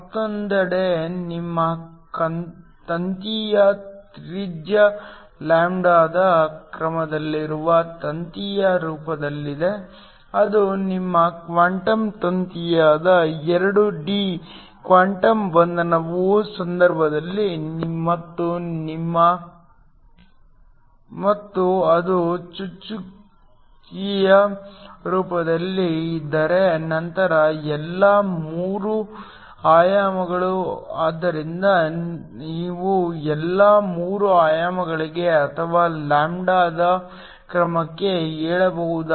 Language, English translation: Kannada, On the other hand if it is in the form of a wire where your radius of the wire is of the order of lambda, that is the case of 2D quantum confinement that is your quantum wire and if it is in the form of a dot, then all 3 dimensions, so you can just say for all 3 dimensions or of the order of lambda